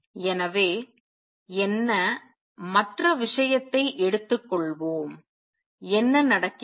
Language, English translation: Tamil, So, let us take the other thing what happens